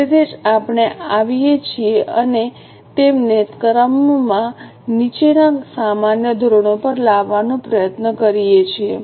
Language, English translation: Gujarati, That is why we come, we sort of bring them down to normal standards